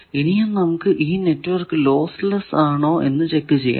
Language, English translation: Malayalam, Then the checking of whether network is lossless